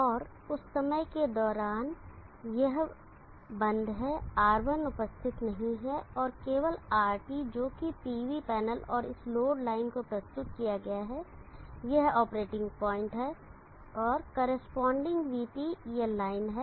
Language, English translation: Hindi, And during the time this is off R1 is not in the picture and only RT that is presented to the PV panel and to this load line this is the operating point and the corresponding VT is this line